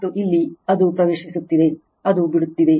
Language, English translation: Kannada, And here it is entering, it is leaving right